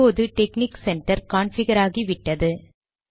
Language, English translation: Tamil, Alright, now texnic center is configured